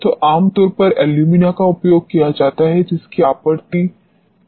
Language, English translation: Hindi, So, normally alumina is used which is supplied by the manufacturers